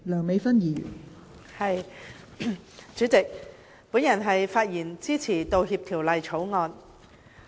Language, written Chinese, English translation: Cantonese, 代理主席，我發言支持《道歉條例草案》。, Deputy President I speak in support of the Apology Bill the Bill